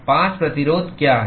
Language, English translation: Hindi, What are the 5 resistances